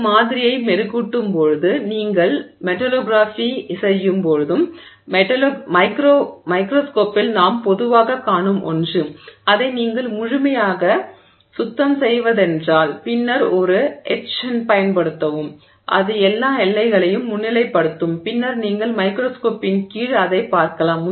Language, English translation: Tamil, And this is also something that we typically see in microscopes when you do metallography when you polish the sample and you clean it up, I mean clean it up thoroughly and then use an etchant, it will highlight all the boundaries and then you can see it under the microscope and see it